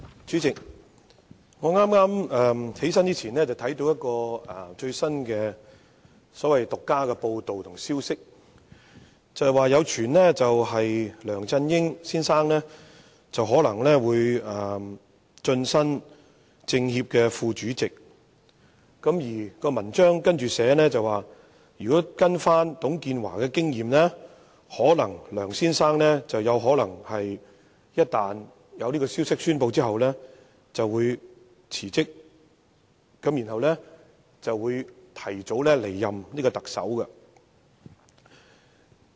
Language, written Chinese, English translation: Cantonese, 主席，我站起來發言之前，剛看到一則最新的獨家報道和消息，指有傳梁振英先生或會晉身中國人民政治協商會議全國委員會副主席，報道中更提到，按董建華先生的經驗，消息一旦公布後，梁先生可能會辭職，提早離任特首。, President I just read an item of breaking and exclusive news before I stood up to speak . It is rumoured that Mr LEUNG Chun - ying may be elevated to the position of Vice - Chairman of the National Committee of the Chinese Peoples Political Consultative Conference CPPCC . The news report says that as shown by the case of Mr TUNG Chee - hwa Mr LEUNG may well resign from the post of Chief Executive before completing his term once an announcement is made